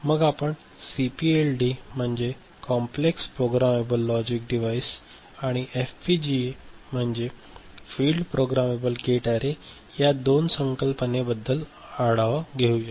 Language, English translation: Marathi, And then we shall have a quick overview of CPLD and FPGA: Complex Programmable Logic Device and Field Programmable Gate Array